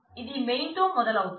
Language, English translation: Telugu, It starts on here with the main